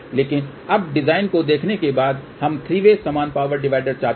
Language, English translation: Hindi, So, let us see in order to design a 3 way equal power divider